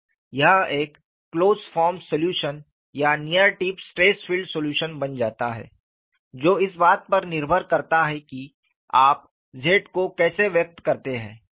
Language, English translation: Hindi, This becomes a closed form solution or a near tip stress field solution depending on how do you express capital Z